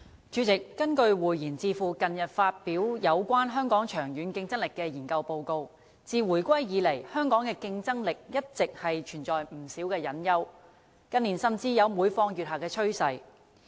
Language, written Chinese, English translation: Cantonese, 主席，根據匯賢智庫近日發表有關香港長遠競爭力的研究報告，自回歸以來，香港的競爭力一直存在不少隱憂，近年甚至有每況愈下的趨勢。, President according to a recently released study on the long - term competitiveness of Hong Kong by the Savantas Policy Institute our competitiveness which has been plagued with latent problems since the reunification has further been riding on a downward trend in recent years